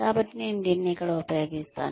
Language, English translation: Telugu, So, I will use this here